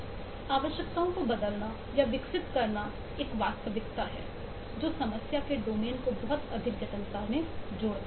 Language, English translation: Hindi, so changing or evolving requirements is a reality which adds to a lot of complexity to the problem domain